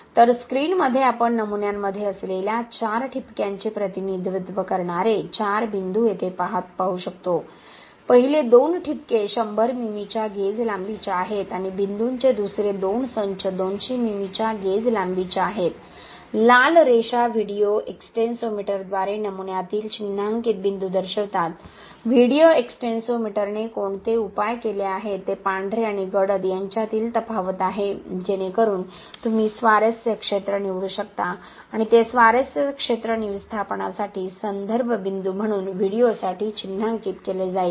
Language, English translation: Marathi, So in the screen what we can see here is 4 points representing the 4 dots we have in the specimens, the first two dots is a gauge length of 100 mm and the second two sets of dots is the gauge length of 200 mm, the red lines indicates the marking points in the specimen by the video extensometer, what video extensometer measures is the contrast between the white and the dark so you can select the zone of interest and that zone of interest will be marked as the point of reference for the displacement for the video